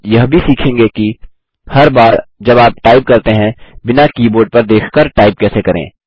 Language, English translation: Hindi, You will also learn to: Type without having to look down at every time you type